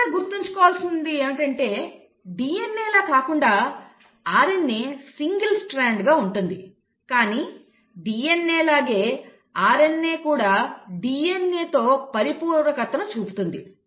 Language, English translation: Telugu, Now remember, unlike DNA, RNA is single stranded but just like DNA, RNA shows complementarity with DNA